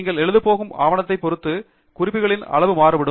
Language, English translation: Tamil, And the size of references is going to vary by the size of the document you are going to write